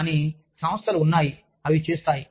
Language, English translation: Telugu, But, there are organizations, that do it